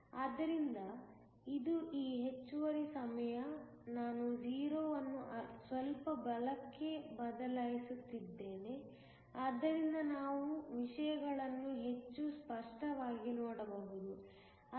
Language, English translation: Kannada, So, this is time on this excess, I am shifting the 0, slightly to the right so that, we can look at things more clearly